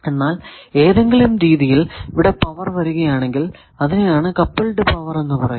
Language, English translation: Malayalam, But the power if that some how goes here then that is called coupled power